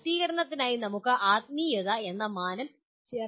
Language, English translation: Malayalam, Just for completion we can add this dimension called spiritual